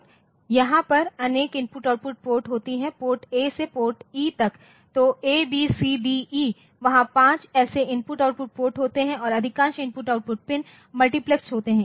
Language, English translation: Hindi, I/O port so, there are a number of I/O port, PORT A through PORT E so, A, B, C, D, E there 5 such I/O port and most of the I/O pins are multiplexed